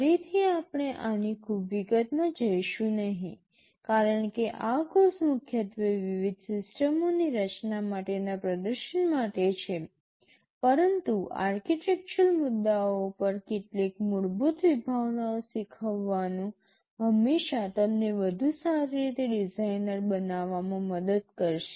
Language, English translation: Gujarati, Again we shall not be going into very much detail of this because this course is primarily meant for a hands on demonstration for designing various systems, but learning some basic concepts on the architectural issues will always help you in becoming a better designer